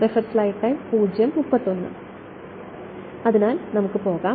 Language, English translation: Malayalam, So, let us go to